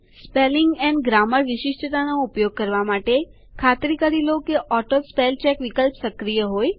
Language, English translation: Gujarati, To use the Spelling and Grammar feature, make sure that the AutoSpellCheck option is enabled